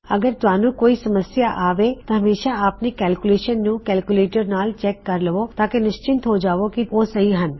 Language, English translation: Punjabi, If you come across any problems, always verify your calculations with a calculator to make sure theyre working